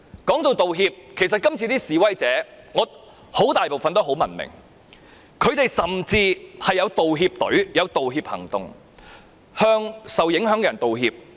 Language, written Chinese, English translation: Cantonese, 提到道歉，其實今次的示威者絕大部分都很文明，他們甚至有一個道歉隊向受影響的人道歉。, When it comes to apology an overwhelming majority of protesters were highly civilized and they even formed a team to apologize to the people affected